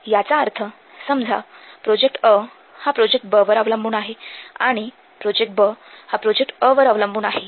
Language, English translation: Marathi, That means, suppose project A depends project B